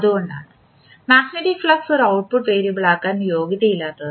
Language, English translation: Malayalam, So, that is why the magnetic flux does not qualify to be an output variable